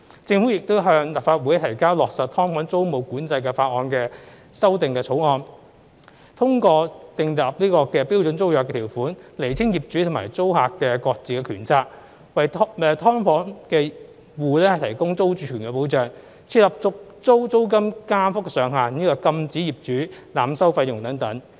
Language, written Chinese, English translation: Cantonese, 政府亦已向立法會提交落實"劏房"租務管制法例的修訂草案，通過訂立標準租約條款釐清業主和租客的各自權責、為"劏房戶"提供租住權保障、設立續租租金加幅上限，以及禁止業主濫收費用等。, The Government has also introduced a bill into the Legislative Council to implement tenancy control on subdivided units SDUs including mandating standard tenancy terms setting out the respective rights and obligations of SDU landlords and tenants providing security of tenure for SDU tenants setting caps on the rate of rent increases upon tenancy renewal and prohibiting landlords from overcharging tenants etc